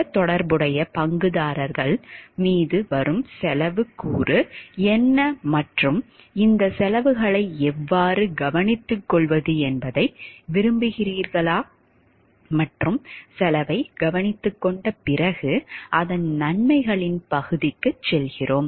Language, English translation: Tamil, Then what are the cost component coming on the other related stakeholders and whether to like how to take care of these costs and after taking care of the cost how then we go for the benefit part of it